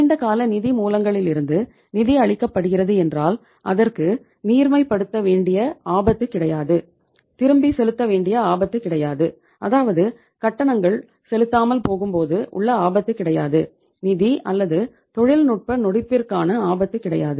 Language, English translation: Tamil, They will be funded from the long term sources, no risk of liquidity, no risk of uh say making the fast payments or means defaulting in terms of the payment, no risk of the financial or the technical insolvency nothing